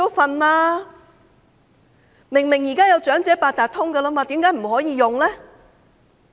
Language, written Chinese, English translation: Cantonese, 現在既然已有長者八達通，為何不可以使用呢？, What a prolonged wait! . Now that the Elder Octopus Card is available why can it not be used?